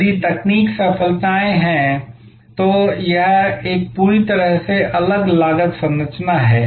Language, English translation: Hindi, If there are technological breakthroughs, that create a completely different cost structure